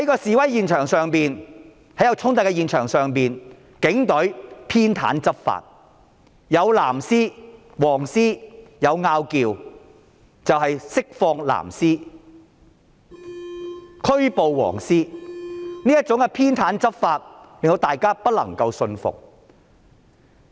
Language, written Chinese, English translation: Cantonese, 在示威衝突現場，警隊偏袒執法，當"藍絲"與"黃絲"出現爭執，釋放"藍絲"，拘捕"黃絲"，這種偏袒執法令大家不能信服。, At the scenes of protests and clashes the Police Force enforces the law with prejudice releasing blue ribbons and arresting yellow ribbons when scuffles have erupted between the two sides . Members of the public find these biased law enforcement practices unacceptable